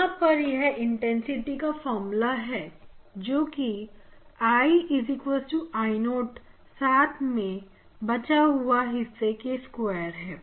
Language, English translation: Hindi, Now, this is the intensity expression I equal to I 0 and then this part